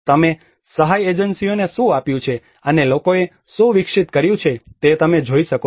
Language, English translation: Gujarati, You can see the responses what the aid agencies have given, and what people have developed